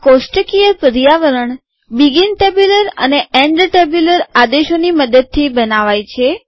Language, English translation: Gujarati, The tabular environment is created using begin tabular and end tabular commands